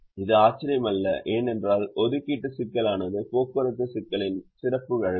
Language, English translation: Tamil, it's also not surprising because the assignment problem is a special case of a transportation problem